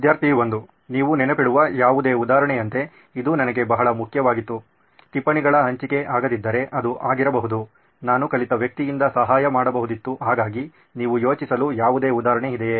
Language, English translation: Kannada, Like Any instance that you remember, yes this was very important for me, if sharing of notes didn’t happen which can be…I would have helped by a learned person, so is there any instance you can think of